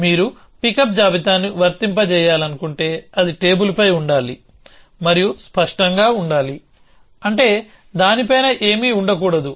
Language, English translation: Telugu, So, if you want pickup list to be applicable, it should be true that it should be on the table and it should be clear, which means nothing must be on top of it